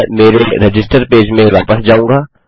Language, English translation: Hindi, I will go back to my register page